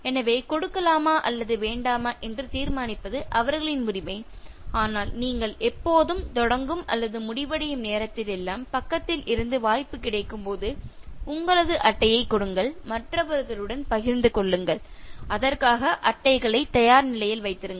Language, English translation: Tamil, So, it is their right to decide to give or not to give but from your side whenever you are beginning or ending whenever there is an opportune time, so just give the card, share it with the others and keep the cards ready